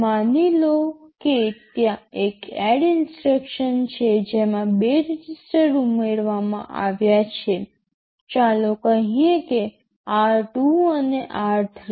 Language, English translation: Gujarati, Ssuppose there is an add ADD instruction which adds 2 registers, let us say r 2 and r 3